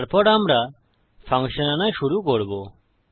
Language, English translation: Bengali, Then we will start to call the function